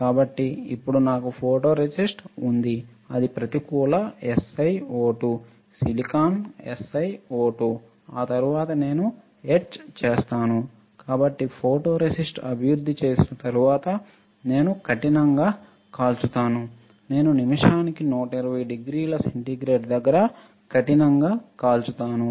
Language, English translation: Telugu, So, now, I have photoresist which is negative SiO2; silicon, SiO2 after that I will etch; so, after photoresist is developed I will do the hard bake, I will do the hard baking 120 degree centigrade per minute